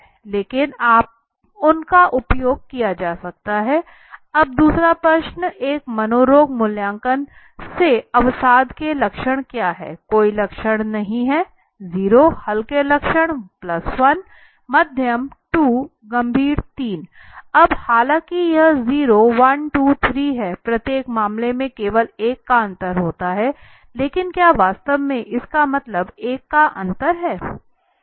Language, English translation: Hindi, So nominal scale has their own simplicity but they can be use also right so now for the second question is what about the symptoms of depression from a psychiatric assessment no symptoms 0 value mild symptoms +1 moderate 2 severe 3 now all though this is 0 1 2 3 there is the difference of only 1 in each case but in real terms does it really means the 1 difference of 1